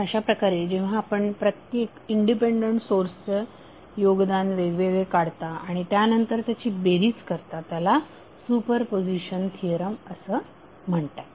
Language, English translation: Marathi, So in this way when you determine the contribution of each independence source separately and then adding up is called as a super position theorem